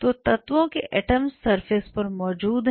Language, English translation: Hindi, So, atoms of element are present on the surface